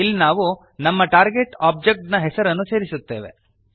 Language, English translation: Kannada, Here we add the name of our target object